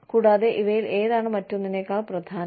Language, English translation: Malayalam, And, which of these is more important, than the other